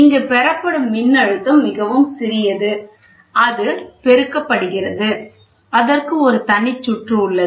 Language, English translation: Tamil, And again the voltage is too small, it is getting amplified, there is a separate circuit